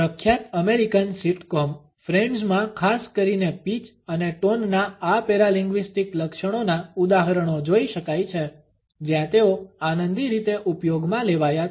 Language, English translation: Gujarati, Examples of these paralinguistic features particularly pitch and tone in the famous American sitcom friends can be viewed where they have been used in a hilarious manner